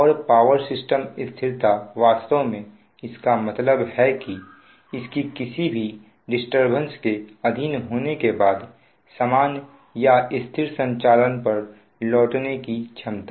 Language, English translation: Hindi, actually that implies that its ability to maintain, to return to normal or stable operation after having been subject to some form of disturbance